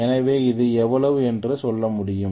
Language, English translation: Tamil, So I can say this is how much